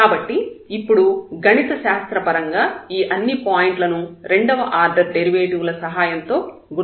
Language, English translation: Telugu, So, now mathematically we will identify all these points with the help of the second order derivatives